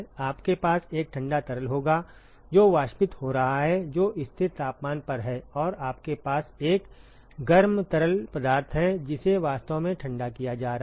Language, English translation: Hindi, You will have a cold fluid which is evaporating you can which is at a constant temperature and you have a hot fluid which is actually being cooled